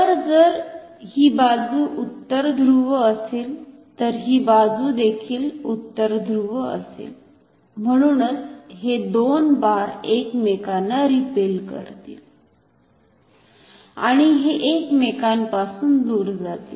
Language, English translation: Marathi, So, if this side is North Pole then this side will also be North Pole; therefore, these two bars will repel each other, and this will turn away from each other